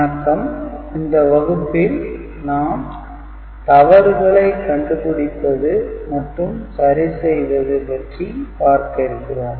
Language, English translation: Tamil, Hello everybody, in today’s class we shall discuss Error Detection and Correction Code